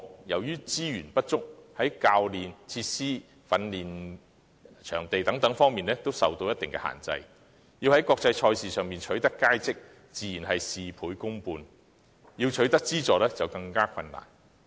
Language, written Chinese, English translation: Cantonese, 由於資源不足，非精英項目在教練、設施和訓練場地等方面均受一定限制，若要在國際賽事中取得佳績，倍加困難，想要取得資助的話更為困難。, Since elite sports are subject to certain constraints in respect of coaching facilities and training venues due to insufficient resources it is exceptionally difficult for elite athletes to achieve outstanding results in international events thus making it even more difficult to obtain funding